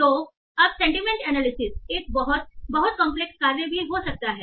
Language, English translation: Hindi, So now in general sentiment analysis can be a very very complex task also